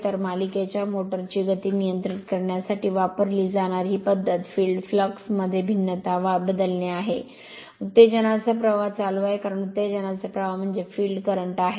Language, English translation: Marathi, So, this method used used for controlling the speed of the series motor is to vary the field flux by varying the your, excitation current because, the excitation current means the field current right